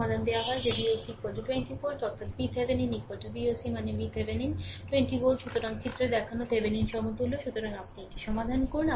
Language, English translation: Bengali, Solution is given that V o c is equal to 20 volt; that is, V Thevenin is equal to V oc means, V Thevenin right,; 20 volt